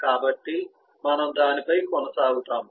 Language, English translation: Telugu, so will continue on on that